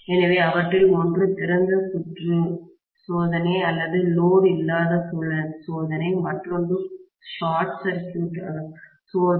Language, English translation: Tamil, So, one of them is open circuit test or no load test, the other one is short circuit test